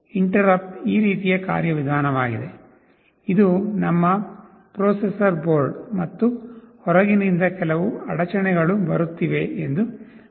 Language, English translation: Kannada, Interrupt is a mechanism like this; suppose, this is our processor board and from outside some interrupt is coming